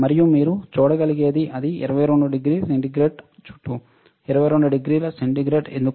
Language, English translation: Telugu, And what you can see is it is around 22 degree centigrade, why 22 degree centigrade